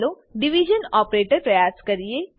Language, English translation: Gujarati, Let us try the division operator